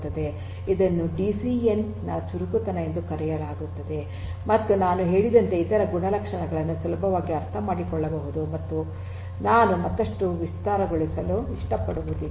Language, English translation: Kannada, This is known as the agility property of a DCN and the other properties as I said are easily understood and I do not need to elaborate further